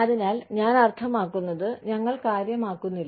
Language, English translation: Malayalam, So, I mean, we do not care